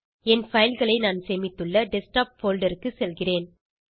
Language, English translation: Tamil, And I will go to Desktop folder where I had saved my files